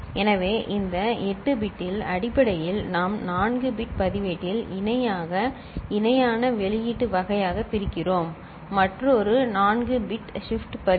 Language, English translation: Tamil, So, out of this 8 bit I mean, basically we are dividing into a 4 bit register parallel in parallel output kind another is a 4 bit shift register